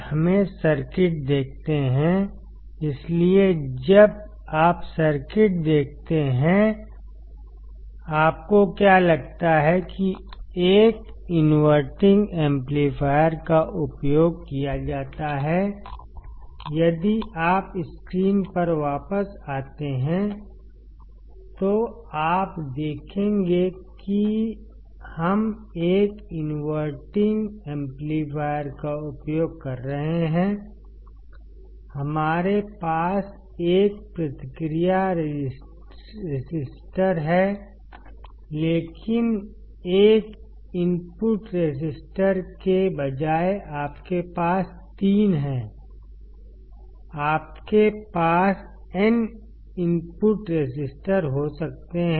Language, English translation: Hindi, Let us see the circuit; so, when you see the circuit; what do you find is that an inverting amplifier is used; if you come back on the screen, you will see that we are using a inverting amplifier, we have a feedback resistor, but instead of one input resistor; you have three; you can have n input resistors